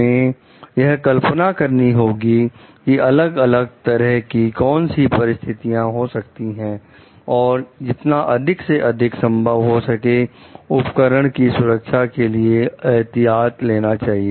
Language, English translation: Hindi, So, we have to imagine what kind of different situations could be there and take as many precautions as possible to ensure the safety of the device